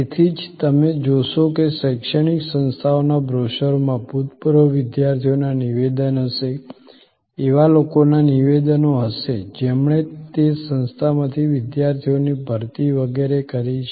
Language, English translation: Gujarati, So, that is why, you will see that in the brochures of educational institutes, there will be statements from alumni, there will be statements from people who have recruited students from that institute and so on